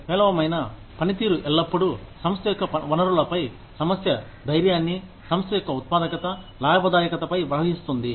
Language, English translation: Telugu, Poor performance is always, a drain on the organization's resources, on the organization's morale, on the organization's productivity, profitability